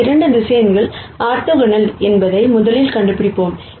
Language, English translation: Tamil, Let us rst nd out whether these 2 vectors are orthogonal